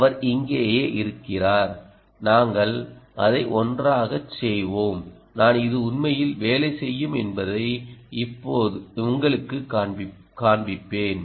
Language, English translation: Tamil, she is right here, and we will do it together and i will actually show you that this really works